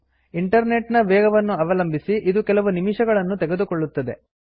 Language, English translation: Kannada, This could take a few minutes depending on your Internet speed